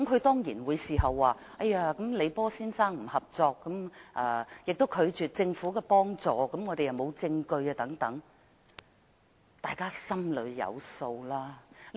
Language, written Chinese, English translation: Cantonese, 當然，他事後亦表示李波先生不合作，亦拒絕政府協助，而他們亦沒有證據等。, Certainly he indicated afterwards that Mr LEE Po was not cooperative and refused government assistance . Moreover there was no evidence and so on